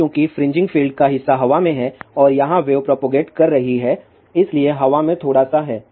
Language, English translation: Hindi, Now, since part of the fringing field is in the air and the wave is propagating here little bit is in the air